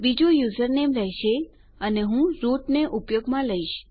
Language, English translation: Gujarati, The second one will be username and Ill use root